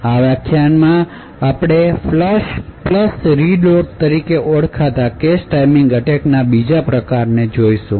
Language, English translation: Gujarati, So, in this particular lecture we will be looking at another form of cache timing attacks known as the Flush + Reload